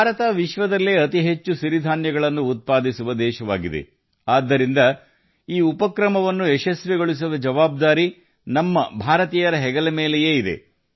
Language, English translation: Kannada, India is the largest producer of Millets in the world; hence the responsibility of making this initiative a success also rests on the shoulders of us Indians